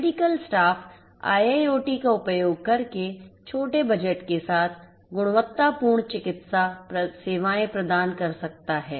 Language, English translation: Hindi, Medical staff can provide quality medical services with small budget using IIoT